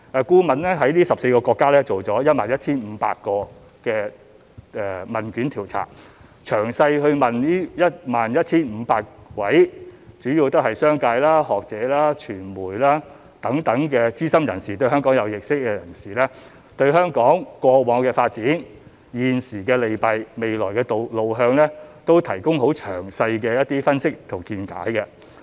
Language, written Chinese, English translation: Cantonese, 顧問在這14個國家進行了 11,500 份問卷調查，詳細訪問了 11,500 位主要是商界、學者、傳媒等資深人士，以及對香港有認識的人士，就他們對香港過往的發展、現時的利弊及未來的路向都提供了很詳細的分析和見解。, The consultant conducted an online questionnaire survey of 11 500 people in these countries who were mainly senior figures in business academic and media fields as well as those who were knowledgeable about Hong Kong . The consultant also made in - depth analyses of their views about the past development of Hong Kong its current advantages and disadvantages as well as future development direction